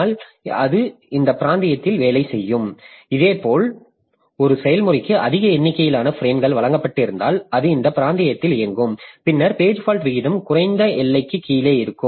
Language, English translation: Tamil, Similarly, if a process has been given large number of frames, then it will be operating in this region and then the page fault rate will be below the lower bound